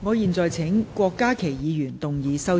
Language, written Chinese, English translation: Cantonese, 我現在請郭家麒議員動議修正案。, I now call upon Dr KWOK Ka - ki to move his amendment